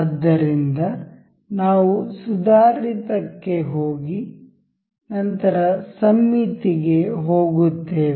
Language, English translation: Kannada, So, we will go to advanced, then the symmetric